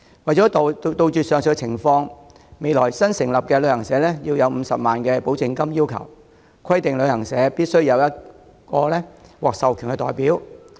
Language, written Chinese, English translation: Cantonese, 為杜絕上述情況，將來新成立旅行社須先向旅遊業監管局繳存50萬元保證金，旅行社亦必須委任1名獲授權代表。, To stamp out this situation travel agents to be established in the future are required to deposit guarantee money of 500,000 with the Travel Industry Authority TIA in advance and each travel agent will also be required to appoint one AR